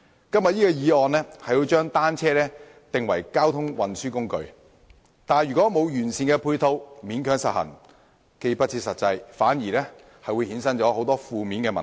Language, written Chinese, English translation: Cantonese, 今天這項議案提出將單車定為交通運輸工具，但如在欠缺完善配套的情況下勉強實行，不但不切實際，還會衍生出很多負面問題。, This motion today has proposed designating bicycles as a mode of transport . But if it is forced through in the absence of comprehensive ancillary facilities it will not only be impractical but also give rise to a host of negative problems